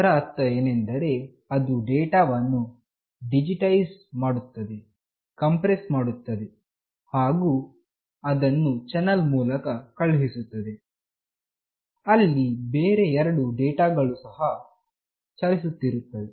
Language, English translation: Kannada, It means that it digitizes the data, compresses it, and sends through a channel where two other data are also moving